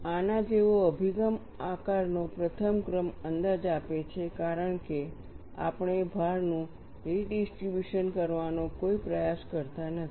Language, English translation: Gujarati, An approach like this, gives the first order approximation of the shape, because we do not make any attempt to redistribute the load